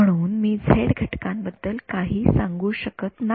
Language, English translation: Marathi, So, I cannot actually say anything about the z components ok